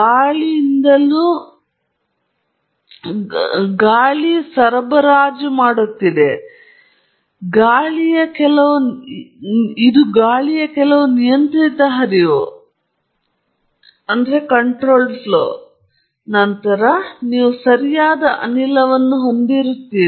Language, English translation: Kannada, Even with air you can ensure that you have an air bottle, which is just supplying air, so that it is not… it’s some controlled flow of air, and then, you have a gas coming out right